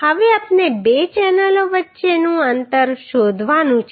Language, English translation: Gujarati, Now we have to find out the spacing between two channels